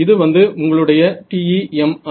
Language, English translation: Tamil, So, this is your TEM wave